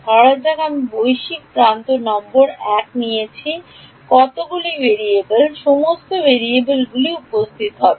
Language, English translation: Bengali, Supposing I had taken global edge number 1 how many variables, what all variables would have appeared